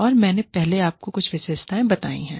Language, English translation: Hindi, And, i gave you some characteristics, earlier